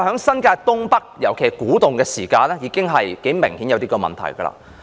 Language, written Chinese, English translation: Cantonese, 新界東北的發展，明顯已有這樣的問題。, The development of North East New Territories was obviously plagued by this problem